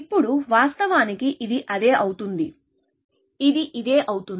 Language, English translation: Telugu, Now, of course, this becomes the same, which becomes the same as this